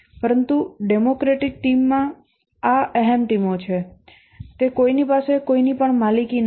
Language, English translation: Gujarati, But in a democratic team, these are egoless teams that is no one owns anything